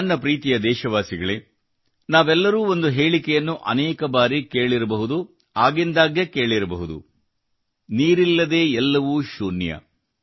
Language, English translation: Kannada, My dear countrymen, we all must have heard a saying many times, must have heard it over and over again without water everything is avoid